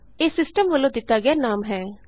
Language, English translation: Punjabi, That is the system generated name